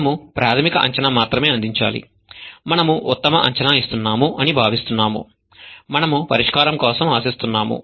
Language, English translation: Telugu, We only have to provide the initial guess that we feel is the best guess for the solution that we are expecting